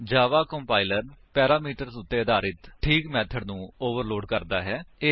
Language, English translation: Punjabi, So, Java compiler overloads the proper method depending on the parameters